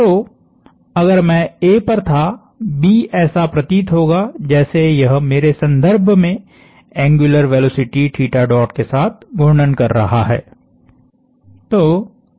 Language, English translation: Hindi, So, if I was at A, B would look like it is rotating about me with an angular velocity theta dot